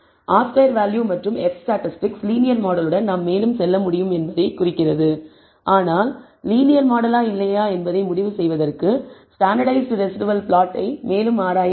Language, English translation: Tamil, R squared value and the f statistics seems to indicate that we can go ahead with the linear model, but we should further examine the standardized residual plot for concluding whether the linear model is or not